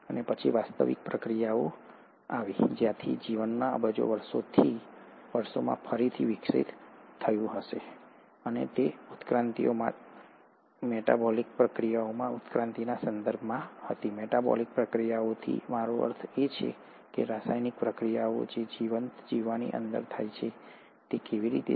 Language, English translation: Gujarati, And then came the actual process from where the life went on evolving again over billions of years, and these evolutions were in terms of evolutions in metabolic reactions, what I mean by metabolic reactions are the chemical reactions which happen inside a living organism, is how we call as metabolism